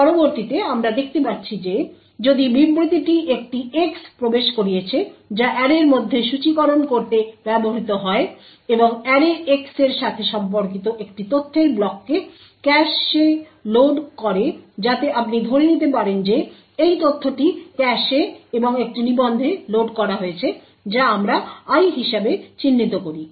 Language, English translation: Bengali, The next we see is that the if statement is entered an X is used to index into the array and cause one block of data Corresponding to array[x] to be loaded into cache so this data you can assume is loaded into cache and into a register which we denote as I